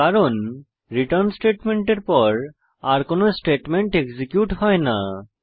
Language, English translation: Bengali, This is because after return statement no other statements are executed